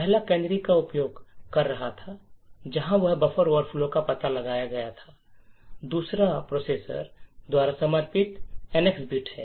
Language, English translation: Hindi, The first was using canaries where buffer overflows were detected, the second is using something known as the NX bit which is supported by the processors